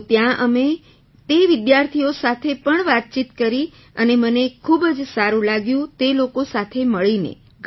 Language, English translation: Gujarati, So there we interacted with those students as well and I felt very happy to meet them, many of them are my friends too